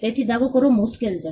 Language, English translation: Gujarati, So, it is hard to make a claim